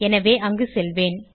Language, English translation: Tamil, So, lets go there